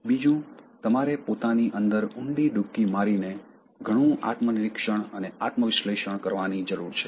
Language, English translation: Gujarati, Secondly, you have to delve deep into yourself that is, you need to do lot of introspection and self analysis